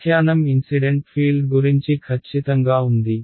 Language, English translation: Telugu, The interpretation is that the incident field is exactly